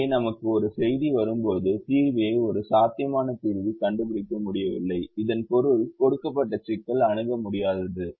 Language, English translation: Tamil, so when we get a message solver could not find a feasible solution, it means the given problem is infeasible